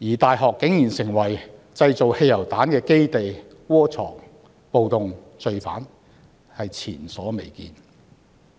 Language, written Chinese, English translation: Cantonese, 大學變成了製造汽油彈的基地，窩藏暴動罪犯，更是前所未見。, It is also unprecedented that universities had become a base for producing petrol bombs and harbouring riot offenders